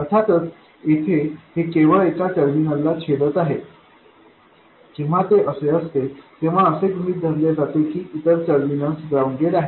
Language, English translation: Marathi, Of course, here this is cutting only one terminal, when it is like that, it is assumed that the other terminal is ground